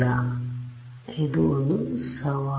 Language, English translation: Kannada, So, this is a challenge